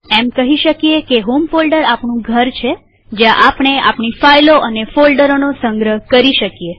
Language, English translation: Gujarati, We can say that the home folder is our house where we can store our files and folders